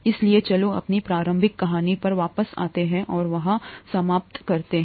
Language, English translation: Hindi, So let’s come back to our initial story and finish up there